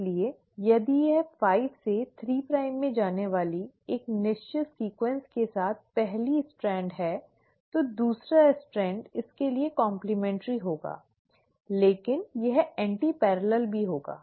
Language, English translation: Hindi, So if this is the first strand with a certain sequence going 5 prime to 3 prime, the second strand will be complimentary to it but will also be antiparallel